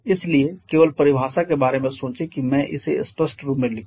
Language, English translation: Hindi, So, just think about the definition let me write it in explicit form